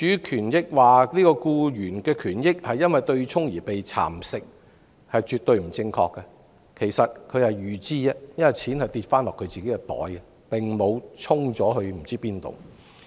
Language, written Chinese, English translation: Cantonese, 說僱員權益因對沖而被蠶食是絕對不正確的，對沖是預知的安排，金錢最終會落入他們的口袋，並無被"沖"至何處。, It is absolutely incorrect to say employees rights and interests are eroded . The offsetting mechanism is a foreseen arrangement and the money will eventually be deposited into their pockets and will not be offset in whatever way